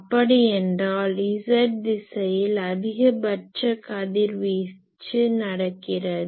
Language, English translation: Tamil, So that means, in the z direction this z direction the maximum radiation takes place